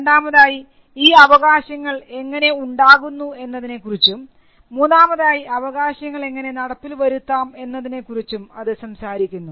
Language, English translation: Malayalam, One it talks about the rights, it talks about the creation of those rights, and it also talks about enforcement